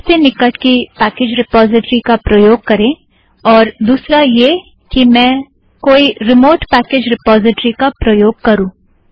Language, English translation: Hindi, Use the nearest package repository, and the other one is let me choose a remote package repository